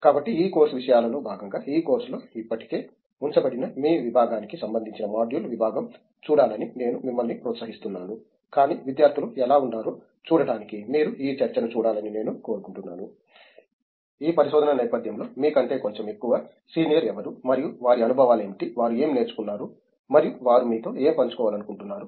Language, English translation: Telugu, So I encourage you to look at the department module related to your department which is already put up on this course, as part of this course material, but I would also like you to watch this discussion to see how students, who are you know little bit more senior than you in this research setting and what their experiences have been, what they have learnt and what is it that they would like to share with you